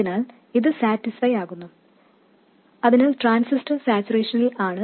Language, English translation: Malayalam, So, clearly this is satisfied so the transistor is in saturation and everything is fine